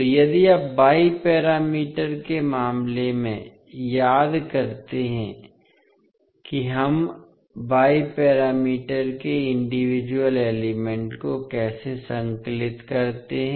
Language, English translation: Hindi, So, if you recollect in case of Y parameters how we compile the individual elements of Y parameters